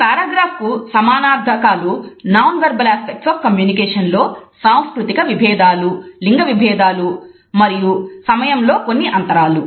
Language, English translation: Telugu, The paragraph has it is equivalents in nonverbal aspects of communication with the introduction of cultural variations, gender stereotypes as well as certain time gap